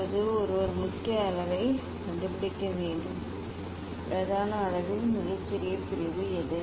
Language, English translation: Tamil, Now, one has to find out main scale; what is the smallest division in main scale